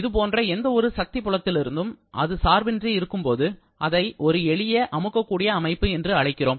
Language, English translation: Tamil, When it is independent of any such kind of body force field then, we call it a simple compressible system